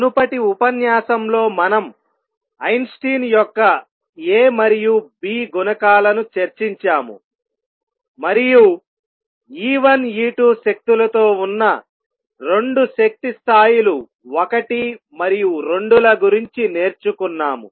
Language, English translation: Telugu, In the previous lecture we discussed Einstein’s A and B coefficients, and learnt that if there are two energy levels 1 and 2 with energies E 1 and E 2